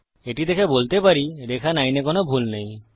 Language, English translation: Bengali, Now looking at that, there is nothing wrong with line 9